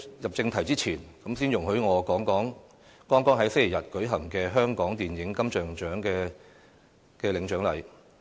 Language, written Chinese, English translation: Cantonese, 入正題前，先容許我談談剛於星期日舉行的香港電影金像獎頒獎典禮。, Before coming to the subject matter I would like to talk about the Hong Kong Film Awards Presentation Ceremony held last Sunday